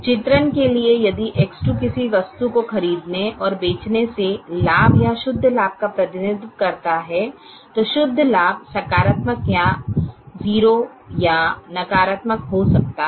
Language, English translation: Hindi, for the sake of illustration, if x two represents a, a profit or a net profit from buying and selling something, then the net profit could be positive or zero or negative